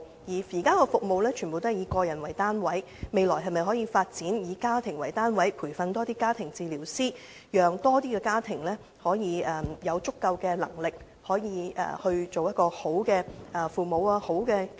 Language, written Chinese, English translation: Cantonese, 現時的服務全部以個人為單位，未來可否發展以家庭為單位的服務及培訓更多家庭治療師，讓更多家庭的父母有足夠能力做好其角色？, All the existing services are based on individuals . In the future can the Government develop family - based services and train more family therapists so that parents in more families will be capable of playing their roles properly?